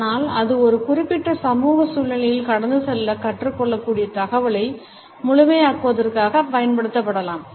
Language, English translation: Tamil, But it can also be used in an intentional manner in order to complement the communication it can also be learnt to pass on in a particular social situation